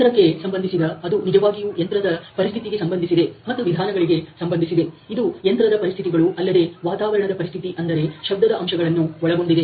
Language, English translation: Kannada, Machine related which is really related to the machine tool conditions and the method related which may include the machining conditions as well as the environmental condition which are noise factors